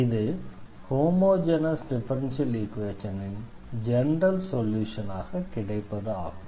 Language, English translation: Tamil, So, that will be the general solution of the given homogeneous differential equation